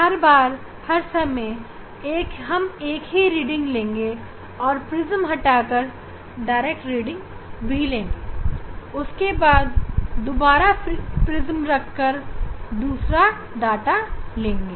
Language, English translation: Hindi, for each then for each time we will take one set data and then we will remove the Prism and then we will take direct reading; we will take direct reading and then again, we will put Prism take the second data